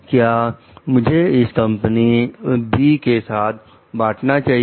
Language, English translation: Hindi, Can I share it with the company B